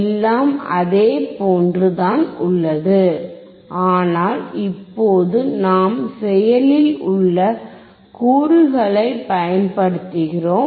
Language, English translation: Tamil, See everything is same, except that now we are using the active component